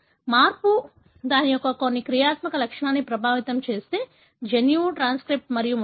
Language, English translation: Telugu, If the change affects some functional property of that, gene, the transcript and so on